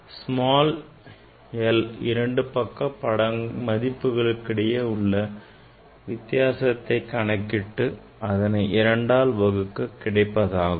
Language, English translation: Tamil, small l it will be difference between these two reading left, and side reading divided by 2